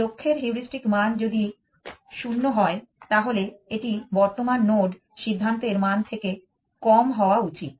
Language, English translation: Bengali, If the heuristic value of the goal is 0, then it should be lower than the value of the current node decision